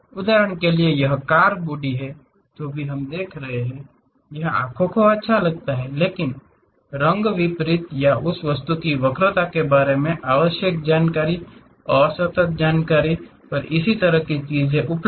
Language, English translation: Hindi, For example: this car body whatever these we are looking at, it looks nice to eyes, but the essential information about color contrast or perhaps the curvature of that object; these kind of things are available at discrete information